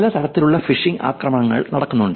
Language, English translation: Malayalam, There are many different types of phishing attacks that have been going on